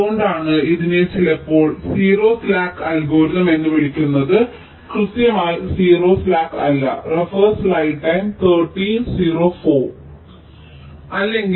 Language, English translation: Malayalam, that's why it is sometimes called near to zero slack algorithm, not exactly zero slack